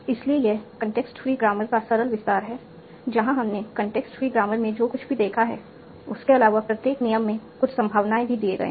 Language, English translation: Hindi, So, this is a simple extension of context free grammar where, in addition to whatever we have seen in contextary grammar, each rule is also assigned some probability